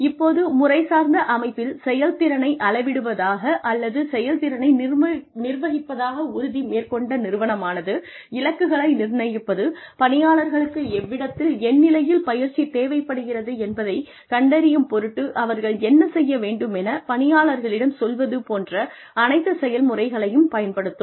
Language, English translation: Tamil, Now, an organization that is committed to measuring performance, or to managing performance, in a systematic manner, will also use this whole process of setting targets, telling the employees, what they should be doing, in order to find out, where employees are going to need training